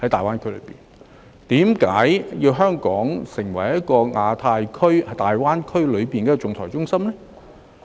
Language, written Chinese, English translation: Cantonese, 為何要香港成為亞太區及大灣區的仲裁中心呢？, Why Hong Kong has to be an arbitration centre in the Asia Pacific region and the Greater Bay Area?